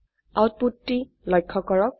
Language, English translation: Assamese, Now observe the output